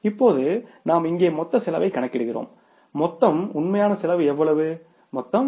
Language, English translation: Tamil, Now we calculate the total cost here